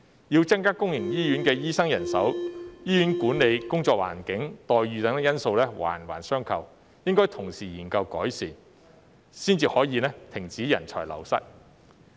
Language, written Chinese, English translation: Cantonese, 要增加公營醫院的醫生人手，醫院管理、工作環境、待遇等因素環環相扣，應該同時研究改善，才可以停止人才流失。, In respect of the need to increase the manpower of doctors in public hospitals such factors as hospital management working environment and remuneration package are interrelated and should be studied concurrently for improvement . Only then can the brain drain be stopped